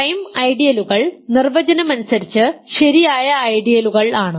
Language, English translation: Malayalam, Prime ideals are by definition proper ideals